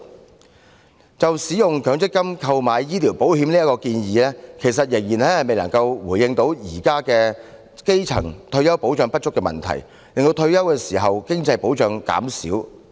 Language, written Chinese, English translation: Cantonese, 另一方面，使用強積金權益購買醫療保險的建議，其實仍然未能回應現時基層市民退休保障不足的問題，更會令退休時的經濟保障減少。, On the other hand the proposal for using MPF accrued benefits to take out medical insurance is still unable to address the current issue of insufficient retirement protection for the grass roots . Instead it will reduce their financial security upon retirement